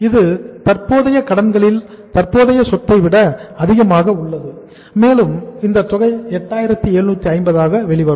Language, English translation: Tamil, That is excess of current asset over current liabilities and this amount will come out as 8750